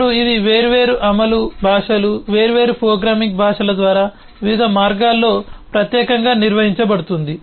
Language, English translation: Telugu, now this is something which is specifically handled in different ways by different implementation languages, different programming languages, particularly